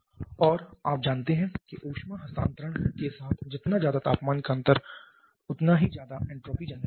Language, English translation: Hindi, And you know that larger the temperature difference associated with heat transfer larger will be the entropy generation